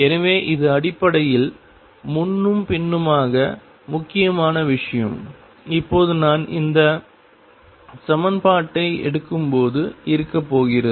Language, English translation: Tamil, So, this is basically going back and forth important thing, now is going to be that when I take this equitation